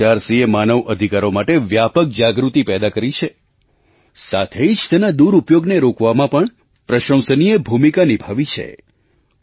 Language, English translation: Gujarati, NHRC has instilled widespread awareness of human rights and has played an important role in preventing their misuse